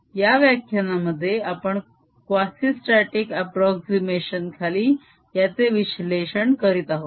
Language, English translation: Marathi, we will analyze that in this lecture under quasistatic approximation